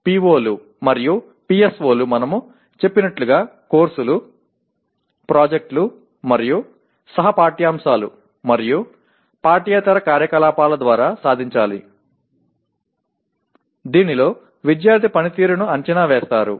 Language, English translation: Telugu, POs and PSOs as we call them are to be attained through courses, projects, and co curricular and extra curricular activities in which performance of the student is evaluated